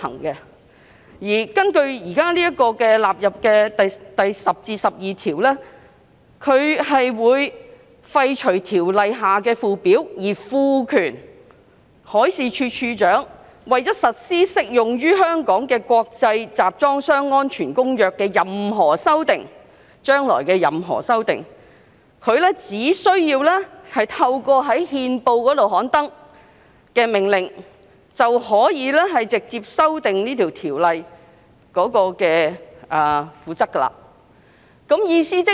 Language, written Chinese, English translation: Cantonese, 擬議納入《條例草案》的第10至12條建議廢除《條例》的附表，賦權處長為實施適用於香港的《公約》的任何修訂——是將來的任何修訂——而藉在憲報刊登的命令直接修訂《條例》的附表。, Clauses 10 to 12 which are proposed to stand part of the Bill seek to repeal the Schedules to the Ordinance and empower DM to by order published in the Gazette directly amend the Schedules to the Ordinance for the purpose of giving effect to any amendment―any future amendments―to the Convention as applied to Hong Kong